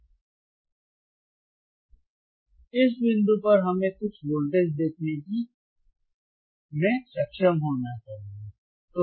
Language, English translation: Hindi, Now, at this point we should be able to see some voltage